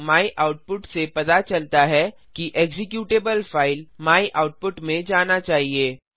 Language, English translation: Hindi, o myoutput says that the executable should go to the file myoutput Now Press Enter